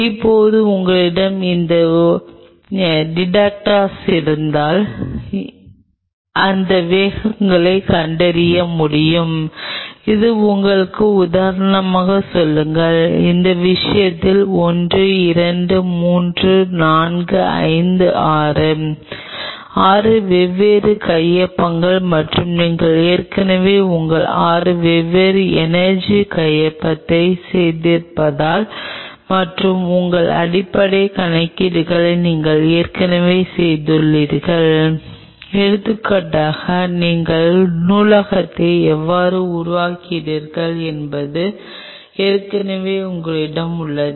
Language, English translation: Tamil, Now, if you have a detector sitting here which could detect those speeds and it will be giving you say for example, in that case 1 2 3 4 5 6, 6 different signatures and if you have already done your 6 different energy signature and if you have already done your base calculations right say for example, you already have a library how you create the library